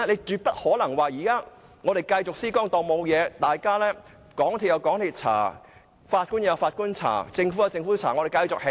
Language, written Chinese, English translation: Cantonese, 絕不可能說現時繼續施工，當沒事發生，港鐵公司、法官、政府各有各調查。, The works definitely cannot proceed as if nothing had happened . MTRCL the Judge and the Government are conducting their inquiries separately